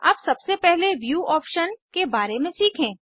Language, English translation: Hindi, Now first lets learn about View options